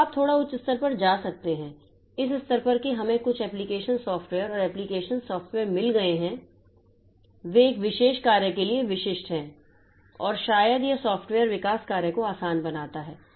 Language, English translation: Hindi, At this level, we have got some application softwares and this application software they are specific for a particular job and maybe that makes the software development job easy